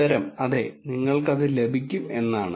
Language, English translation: Malayalam, The answer is yes, you can get